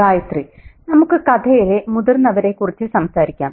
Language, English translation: Malayalam, Let's talk about the adults in the story